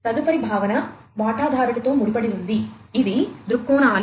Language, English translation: Telugu, The next concept is linked to the stakeholders; these are the viewpoints